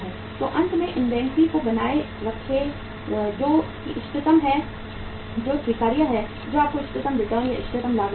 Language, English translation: Hindi, So finally maintain the inventory which is optimum, which is acceptable, which is giving you optimum returns optimum cost